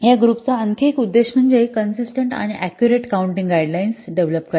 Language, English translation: Marathi, Another objective of this group is to develop consistent and accurate counting guidelines